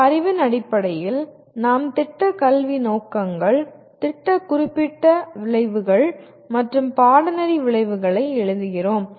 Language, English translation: Tamil, Then based on this knowledge, we what you call, we write Program Educational Objectives, Program Specific Outcomes and Course Outcomes